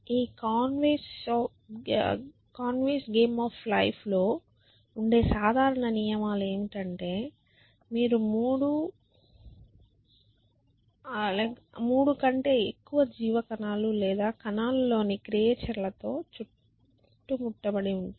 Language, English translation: Telugu, So, the simple rules in this conveys game of life are that if you are surrounded by more than three living cells or creatures in living in cells